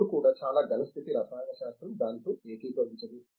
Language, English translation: Telugu, Even now many solid state chemistry will not agree with that